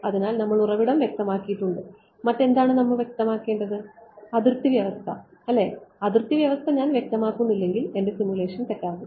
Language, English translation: Malayalam, So, we have we have specified the source what else do we need to specify boundary condition right, if I do not specify boundary condition my simulation will be wrong